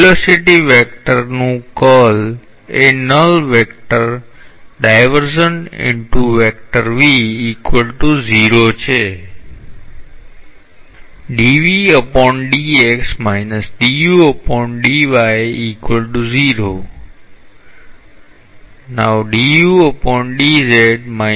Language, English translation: Gujarati, The curl of the velocity vector is a null vector